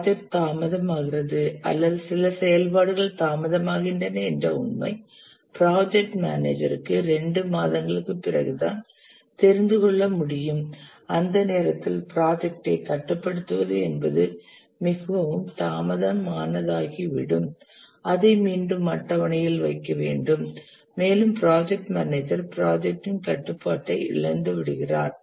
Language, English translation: Tamil, The fact that the project is getting delayed or some activities delayed, the project manager can know only after two months and by the time it will be too late to control the project and back put it back into the schedule and therefore the project manager loses control of the project